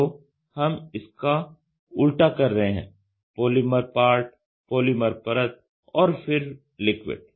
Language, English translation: Hindi, So, we are doing reverse of it polymer part, polymer layer, then in the liquid